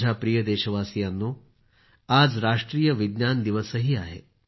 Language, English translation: Marathi, today happens to be the 'National Science Day' too